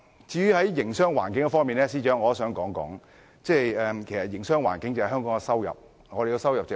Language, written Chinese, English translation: Cantonese, 至於營商環境方面，司長，營商環境如何，香港的收入也如何。, Regarding business environment Financial Secretary Hong Kongs income depends on our business environment